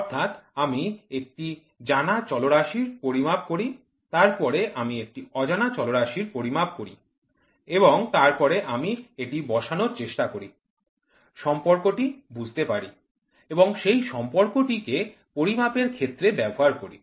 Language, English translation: Bengali, So, I measure a known parameter, then I measure a unknown parameter and then I try to plot it, understand the relationship and then use that relationship in measurement